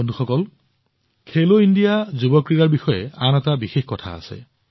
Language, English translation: Assamese, Friends, there has been another special feature of Khelo India Youth Games